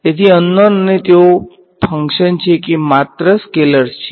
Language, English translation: Gujarati, So, unknown and are they functions or just scalars